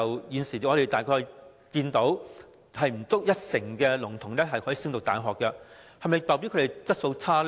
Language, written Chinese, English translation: Cantonese, 現時香港只有不足一成的聾童可以升讀大學，這是否代表他們質素差？, At present less than 10 % of the deaf children in Hong Kong can go to university so does this mean that they have poorer abilities?